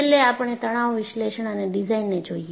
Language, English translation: Gujarati, And, finally we come to stress analysis and design